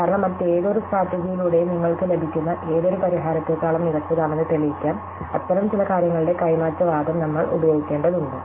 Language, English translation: Malayalam, Because, we have to use an exchange argument of some such thing to proof that is better than any solution that you could get by any others strategy